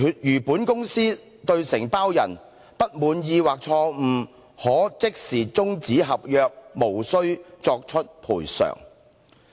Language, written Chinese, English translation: Cantonese, 如本公司()對承包人，不滿意或錯誤可即時終止合約，無須作出賠償。, The Company shall terminate the contract immediately in case of dissatisfaction with or mistakes on the part of the Contractor